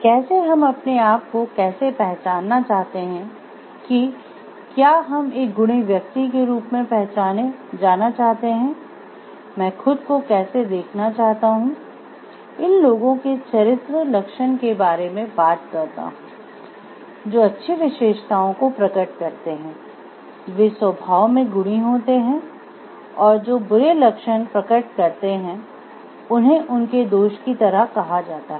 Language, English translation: Hindi, How we want to be known to ourselves whether we want to be known as a virtuous person, how do I see myself this talks of these character traits of people who are which manifests good characteristics are virtuous in nature and those which manifest bad characteristics the character traits are called like their vices